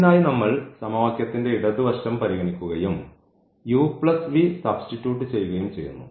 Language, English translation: Malayalam, So, for that we will consider this equation the left hand side of the equation and substitute this u plus v into the equation